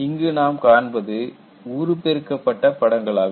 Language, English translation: Tamil, And this is a very highly magnified picture